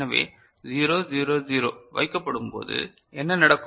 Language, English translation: Tamil, So, when 0 0 0 is placed what will happen